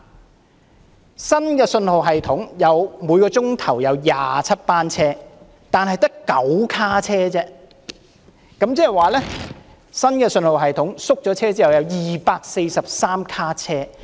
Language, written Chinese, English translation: Cantonese, 在新信號系統之下，每小時有27班車，但只有9卡車，即是使用新的信號系統並縮減車卡之後，有243卡車。, Under the new signalling system there will be 27 trips per hour but the train will only be comprised of 9 cars . That means there will be 243 cars after the launch of the new signalling system and the reduction of cars